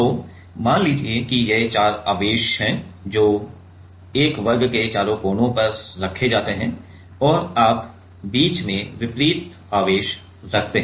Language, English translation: Hindi, So, let us say these are the four charges which are placed at the four corners of a square and you in the middle there is a opposite charge